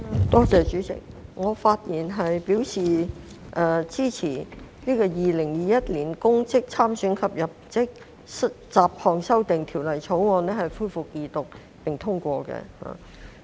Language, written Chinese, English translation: Cantonese, 代理主席，我發言支持《2021年公職條例草案》恢復二讀並通過。, Deputy President I speak to support the Second Reading and passage of the Public Offices Bill 2021 the Bill